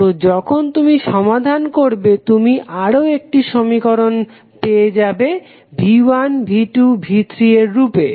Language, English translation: Bengali, So, when you solve you get another equation in terms of V 1, V 2, V 3